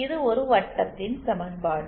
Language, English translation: Tamil, This is an equation of a circle